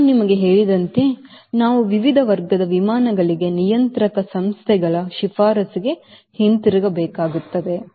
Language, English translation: Kannada, as i told you, we have to go back to the regulatory bodies recommendation for different class of aircraft